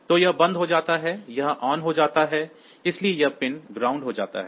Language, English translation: Hindi, So, this becomes off; this becomes on, so this pin gets grounded